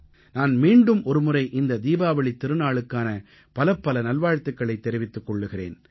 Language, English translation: Tamil, I once again wish you all the very best on this auspicious festival of Diwali